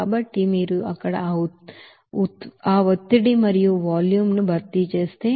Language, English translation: Telugu, So if you substitute that pressure and volume there